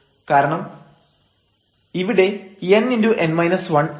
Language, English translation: Malayalam, So, this is important this n here